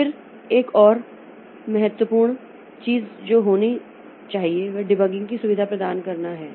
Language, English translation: Hindi, Then another important thing that we should have is providing debugging facility